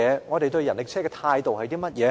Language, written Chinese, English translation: Cantonese, 我們對人力車的態度是甚麼？, What is our attitude toward the rickshaw?